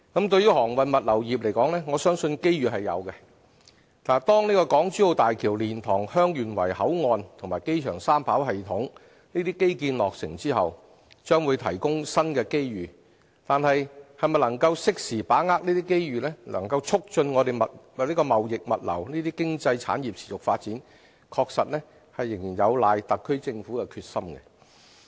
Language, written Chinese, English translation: Cantonese, 就航運物流業而言，我相信機遇是有的，當港珠澳大橋、蓮塘/香園圍口岸及機場三跑系統等基建落成後，將會提供新機遇，但能否適時把握機遇，促進貿易物流這些經濟產業持續發展，確實仍有賴特區政府的決心。, I believe there will be opportunities for the maritime and logistics industries . The completion of infrastructure projects such as the Hong Kong - Zhuhai - Macao Bridge HZMB the LiantangHeung Yuen Wai Boundary Control Point and the Three - Runway System at the Hong Kong International Airport HKIA will bring forth new business opportunities will arise . Yet if we are to grasp such opportunities in good time to promote the sustained development of economic activities like trade and logistics the determination of the SAR Government will be of pivotal importance